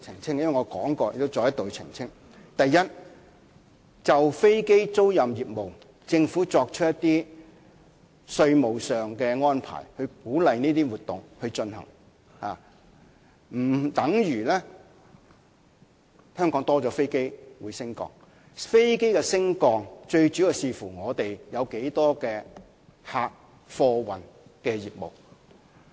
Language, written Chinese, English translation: Cantonese, 第一，政府就飛機租賃業務作出一些稅務上的安排，以鼓勵這些活動進行，不等於香港會多了飛機升降，飛機升降量最主要視乎香港有多少客貨運的業務。, Firstly the taxation arrangement for aircraft leasing business is proposed by the Government to encourage these activities which does not mean that there will be more aircraft landing at and taking off from Hong Kong . The air traffic movements mainly depend on the amount of aviation operations for passenger and cargo flights in Hong Kong